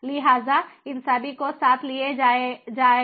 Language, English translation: Hindi, so these all will be taken together